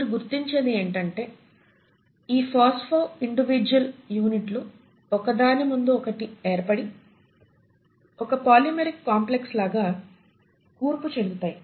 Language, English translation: Telugu, And what you find is that these phospho individual units arrange in tandem and they form a polymeric complex which is what you call as the plasma membrane